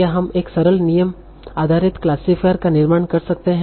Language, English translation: Hindi, Can we build a simple rule based classifier